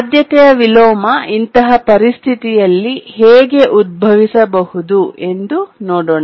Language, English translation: Kannada, Now let's see how the priority inversion in such a situation can arise